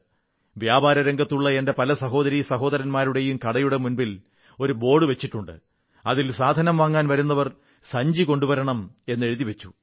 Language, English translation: Malayalam, Many of my merchant brothers & sisters have put up a placard at their establishments, boldly mentioning that customers ought to carry shopping bags with them